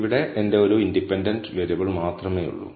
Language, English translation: Malayalam, Here I have only my one independent variable